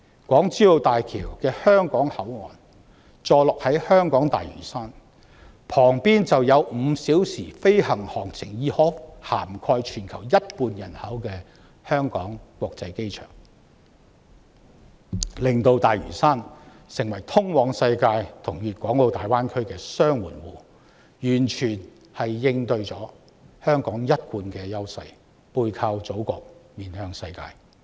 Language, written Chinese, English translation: Cantonese, 港珠澳大橋香港口岸坐落在香港大嶼山，毗鄰5小時飛行航程範圍已涵蓋全球一半人口的香港國際機場，令大嶼山成為通往世界和粵港澳大灣區的"雙門戶"，完全應對了香港"背靠祖國、面向世界"的一貫優勢。, The HZMB Hong Kong Port is situated on Lantau Island Hong Kong adjacent to the Hong Kong International Airport that is within five hours flying time of half of the worlds population making Lantau Island the Double Gateway towards the world and the Greater Bay Area completely in keeping with Hong Kongs long - standing advantage of facing the world and leveraging on the Motherland